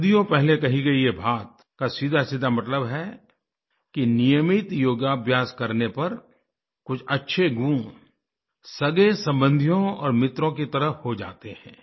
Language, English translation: Hindi, Thisobservation expressed centuries ago, straightaway implies that practicing yogic exercises on a regular basis leads to imbibing benefic attributes which stand by our side like relatives and friends